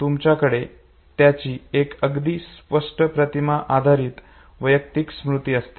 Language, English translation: Marathi, Still we have the image based personal memory of it